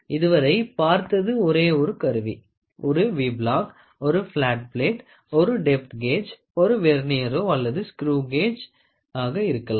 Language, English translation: Tamil, So, till now what we saw was only a single instrument a V block, right; a V block, a flat plate, a depth gauge, maybe a Vernier or screw gauge